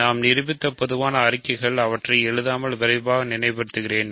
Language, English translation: Tamil, So, the general statements we have proved; let me quickly recall without writing them